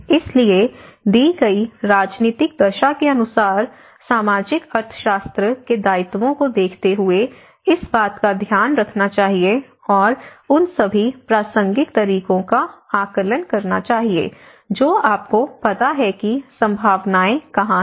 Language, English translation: Hindi, So, as per the given political condition, given social economics feasibilities one has to take care of this and assess the all relevant methods you know where the possibilities